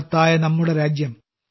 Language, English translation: Malayalam, Our country is great